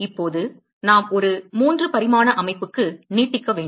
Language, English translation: Tamil, Now, we need to extend to a 3 dimensional system